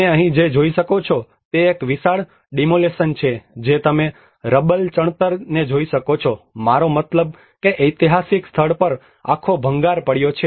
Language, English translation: Gujarati, What you can see here is a huge demolitions happened you can see the rubble masonry, I mean the whole rubble fallen on the historical site